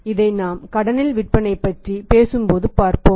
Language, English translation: Tamil, Let us see when you talk about the selling on credit